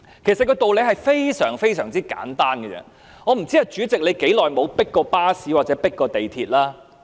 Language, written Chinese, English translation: Cantonese, 其實道理非常簡單，我不知道主席有多久沒有"迫巴士"或"迫地鐵"。, In fact the principle is very simple . I have no idea how long the President has not squeezed into a bus or an MTR compartment